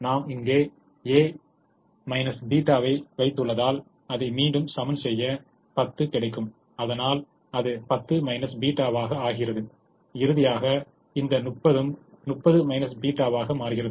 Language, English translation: Tamil, and since we have put a minus theta here, once again to balance this, we will get ten becomes ten plus theta and this thirty will finally become thirty minus theta